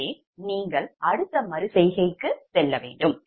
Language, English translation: Tamil, so you have to go for the next iteration